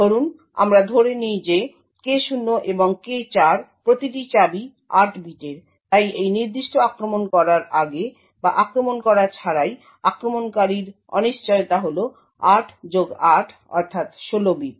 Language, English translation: Bengali, Suppose we assume that each key K0 and K4 is of 8 bits, therefore before running or without running this particular attack the uncertainty of the attacker is 8 plus 8 that is 16 bits